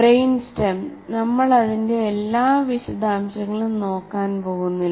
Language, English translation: Malayalam, Now come the brain stem, we are not going to look into all the details